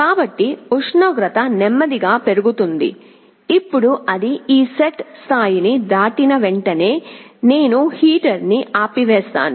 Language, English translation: Telugu, So, the temperature will slowly go up, now as soon as it crosses this set level, I turn off the heater